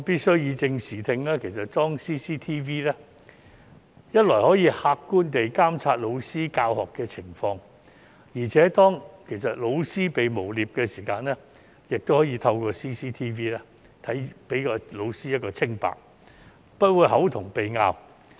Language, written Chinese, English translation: Cantonese, 為以正視聽，我必須指出，安裝 CCTV 既可客觀地監察老師的教學情況，而且當老師被誣衊時，亦可以透過 CCTV 還老師一個清白，不會"口同鼻拗"。, In order to set the record straight I must point out that the installation of CCTV serves to monitor the teaching process objectively . When a teacher is falsely accused it can also serve to prove his innocence and avoid meaningless arguments